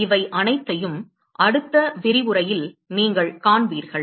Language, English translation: Tamil, All that you will see in the next lecture